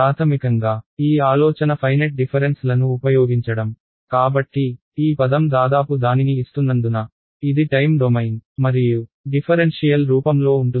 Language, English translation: Telugu, Basically using this idea finite differences right; so, this as the word almost gives it away, this is going to be in time domain and differential form ok